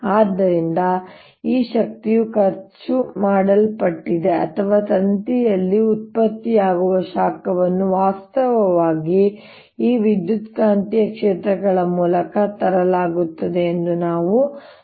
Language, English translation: Kannada, so we have shown that this energy which is being spent or which is being the heat which is being produced in the wire is actually brought in through these electromagnetic fields